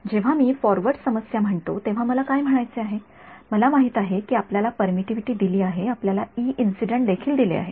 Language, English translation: Marathi, When I say a forward problem what do I mean that, you know your given the permittivity let us say your also given the E incident